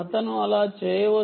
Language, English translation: Telugu, he could be doing that